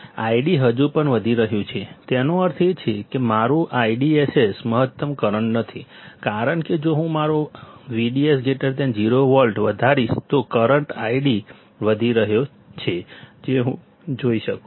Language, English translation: Gujarati, The I D is still increasing; that means, my I DSS is not the maximum current, my I DSS is not maximum current, because if I increase my V G S greater than 0 volt, I can still see that the current I D is increasing